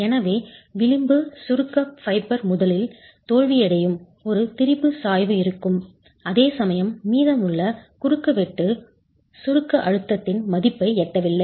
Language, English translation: Tamil, So, you will have a strain gradient with the edge compression fiber failing first whereas rest of the cross section has not reached that value of the compressive stress